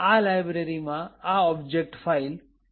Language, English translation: Gujarati, c, create an object file mylib